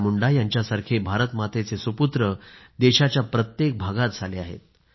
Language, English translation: Marathi, Illustrious sons of Mother India, such as BirsaMunda have come into being in each & every part of the country